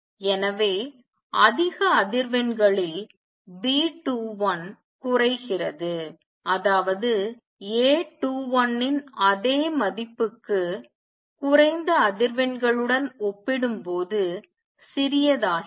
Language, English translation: Tamil, So, at high frequencies B 21 goes down; that means, becomes smaller compared to low frequencies for same value of A 21